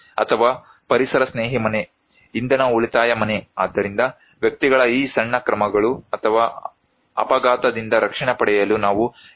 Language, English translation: Kannada, Or maybe a eco friendly house, energy saving house so, these small measures by the individuals or maybe simply consider that for accident, we need to put helmets